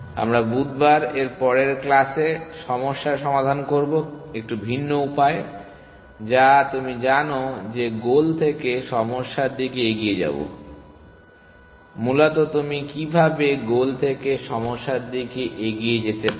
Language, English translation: Bengali, We will look at problem solving from the slightly different prospective in the next class that we meet on Wednesday, which is you know looking from the goal towards the problems, essentially how can you move from the goal to the problem